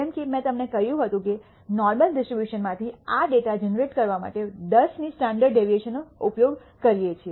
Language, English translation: Gujarati, As I told you that I had used a standard deviation of 10 to generate this data from a normal distribution